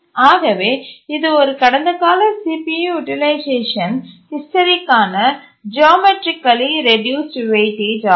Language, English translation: Tamil, So this is a geometrically reduced weightage for past CPU utilization history